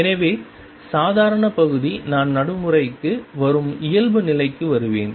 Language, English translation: Tamil, So, normal part I will come to normality we in force